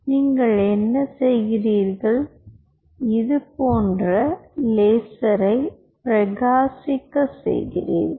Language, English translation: Tamil, you shine a laser like this